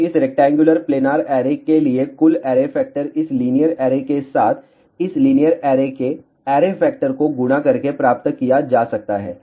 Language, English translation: Hindi, So, total array factor for this rectangular planar array can be obtained by multiplying the array factor of this linear array with this linear array